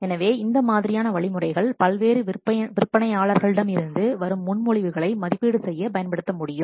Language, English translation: Tamil, So, those kinds of things, those kinds of methods can be used to evaluate the proposal submitted by different vendors